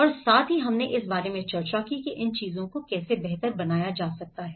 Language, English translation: Hindi, And also, we did discussed about how these things could be improved